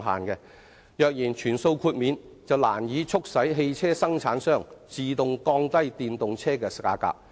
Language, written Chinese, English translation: Cantonese, 若繼續全數豁免，難以促使汽車生產商自動降低電動車的價格。, If full exemption continues car manufacturers will not voluntarily lower EV prices